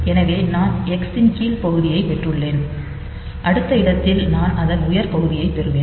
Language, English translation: Tamil, So, here I have got the X the lower part of it and at the next location I will have the higher part of it